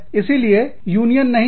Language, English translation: Hindi, So, this is not a union